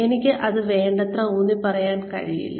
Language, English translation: Malayalam, I cannot emphasize on that enough